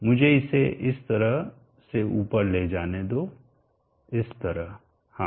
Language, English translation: Hindi, Let me move this above like this, now 0